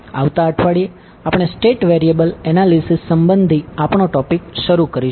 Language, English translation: Gujarati, In next week we will start our topic related to state variable analysis